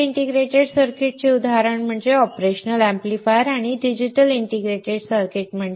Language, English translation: Marathi, Example for linear integrated circuits is operational amplifier and for digital integrated circuit is computers or logic circuits